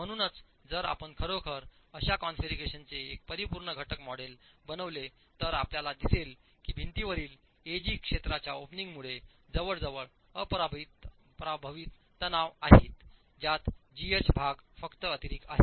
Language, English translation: Marathi, So if you actually make a finite element model of such a configuration, you will see that region AG in the wall has compressive stresses as almost unaffected by the opening, as though it is just the plain wall